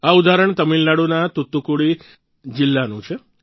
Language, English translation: Gujarati, This is the example of Thoothukudi district of Tamil Nadu